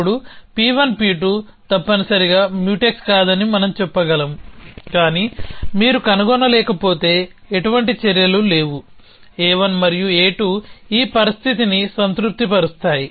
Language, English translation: Telugu, Then we can say P 1 P 2 are not Mutex essentially, but if you cannot find, so in there are no actions, a 1 and a 2 is satisfy this condition then we say that they are Mutex essentially